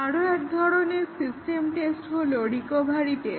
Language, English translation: Bengali, Another type of system test is the recovery test